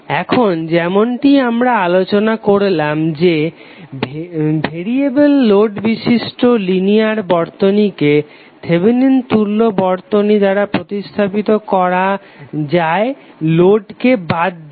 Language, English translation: Bengali, Now as we have discussed that linear circuit with variable load can be replaced by Thevenin equivalent excluding the load